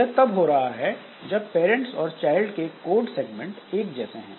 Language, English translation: Hindi, So, this is happening when this parent and child their code segments are similar